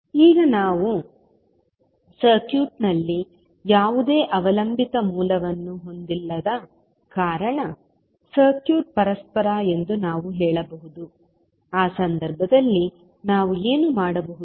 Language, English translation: Kannada, Now since we do not have any dependent source in the circuit, we can say that the circuit is reciprocal so in that case, what we can do